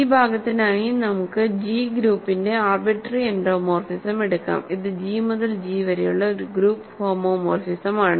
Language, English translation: Malayalam, So, for this part let us take an arbitrary endomorphism of the group G, this is a group homomorphism from G to G